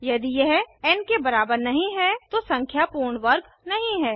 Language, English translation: Hindi, If it is not equal to n, the number is not a perfect square